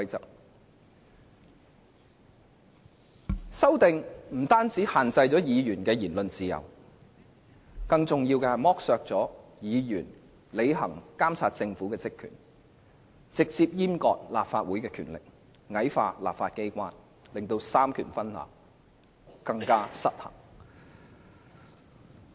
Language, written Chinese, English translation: Cantonese, 該等修訂建議不但限制了議員的言論自由，更重要的是剝削了議員監察政府的職權，直接閹割立法會的權力，矮化立法機關，令三權分立更為失衡。, The proposed amendments not only limit the freedom of speech of Members but more importantly deprive Members of the power to monitor the Government directly castrate certain powers of the Legislative Council and belittle the legislature causing the separation of powers to become even more unbalanced